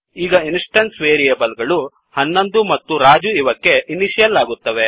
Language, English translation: Kannada, Now the instance variables will be initialized to 11 and Raju.As we have passed